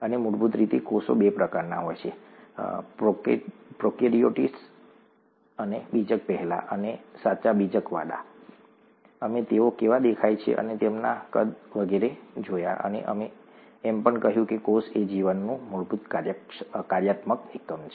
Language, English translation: Gujarati, And basically, there are two types of cells, prokaryotes, before nucleus, and the ones with a true nucleus, we saw how they looked, and their sizes and so on and we also said that cell is the fundamental functional unit of life